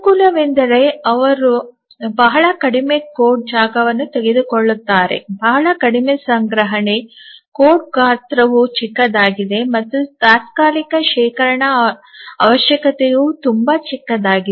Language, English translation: Kannada, So, the advantage of these are these take very small code space, very little storage, the code size is small and even the temporary storage requirement is very small